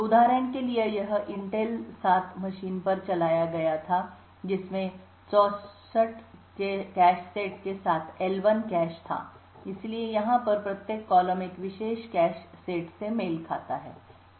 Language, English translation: Hindi, So for example this was run on an Intel i7 machine which had an L1 cache with 64 cache sets, so each column over here corresponds to a particular cache set